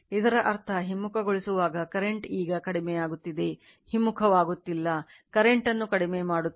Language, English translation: Kannada, When you are reversing the that means, current is decreasing now current is we are decreasing, not reversing, we are decreasing the current